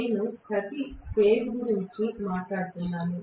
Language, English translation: Telugu, I am talking about for every phase